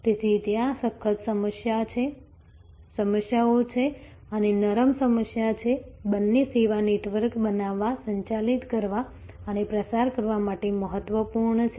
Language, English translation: Gujarati, So, there are hard issues and there are soft issues, both are important to create, manage and propagate a service network